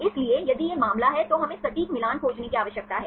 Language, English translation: Hindi, So, if this is the case, we need to find exact match